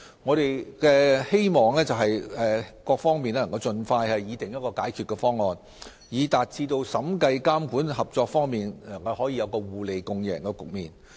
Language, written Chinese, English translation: Cantonese, 我們希望各方能盡快擬訂一項解決方案，讓審計、監管、合作3方面可以達致互利共贏的局面。, We hope that various sides can draw up a solution expeditiously so as to achieve mutual benefits and a multiple - win situation in the three areas of auditing regulation and cooperation